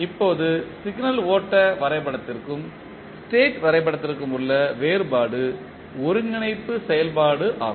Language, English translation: Tamil, Now, the difference between signal flow graph and state diagram is the integration operation